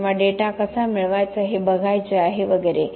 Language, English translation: Marathi, Or do we have to look at how to get the data and so on